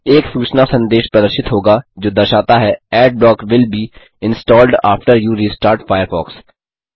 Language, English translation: Hindi, A notification message will be displayed which says, Adblock will be installed after you restart Firefox